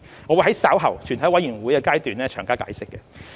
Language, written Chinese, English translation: Cantonese, 我會在稍後全體委員會審議階段詳加解釋。, I will explain in detail at the Committee stage later